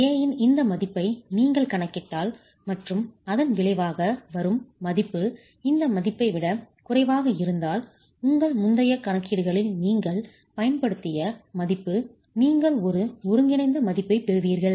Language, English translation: Tamil, If you calculate this value of A and if the resulting value of A is less than this value, that is the value that you have used in your previous calculations, it should, you get a converged value